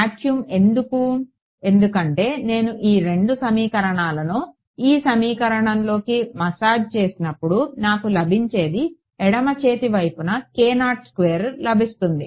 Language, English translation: Telugu, Vacuum why because when I massage these two equations into this equation what I get is a k naught squared on the left hand side